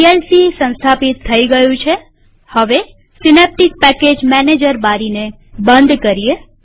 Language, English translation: Gujarati, We see that vlc is installed now.Close the Synaptic Package Manager window